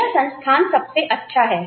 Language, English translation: Hindi, That is, my institute is the best